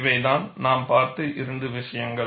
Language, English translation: Tamil, These are the two issues we have looked at